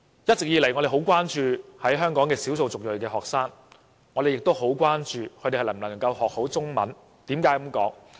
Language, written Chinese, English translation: Cantonese, 一直以來，我們十分關注香港的少數族裔學生，亦十分關注他們能否學好中文。, All along we are very concerned about EM students in Hong Kong . We are also very concerned whether they can learn the Chinese language well